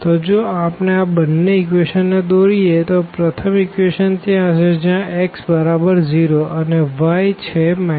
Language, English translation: Gujarati, So, if we plot now these two equations as earlier; so, we have this first equation here where x is 0 and then y is minus 1